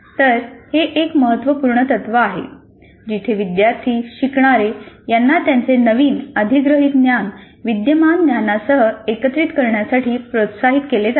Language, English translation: Marathi, So this principle is a very important principle where the students, the learners are encouraged to integrate their newly acquired knowledge with the existing knowledge